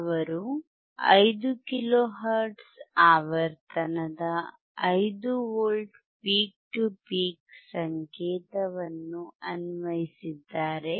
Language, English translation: Kannada, He has applied 5 kilohertz frequency, and the amplitude is 5 V peak to peak